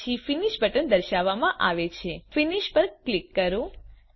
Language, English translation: Gujarati, Then the finish button is displayed, click finish